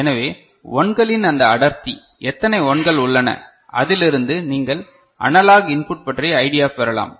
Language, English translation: Tamil, So, this density of 1s so, how many 1s are there ok, that from that you can get the idea of the analog input that is there ok